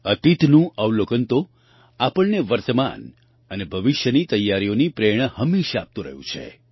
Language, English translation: Gujarati, Observation of the past always gives us inspiration for preparations for the present and the future